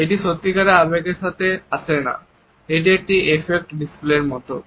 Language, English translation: Bengali, It is not accompanied by a genuine emotion, it is like an effect display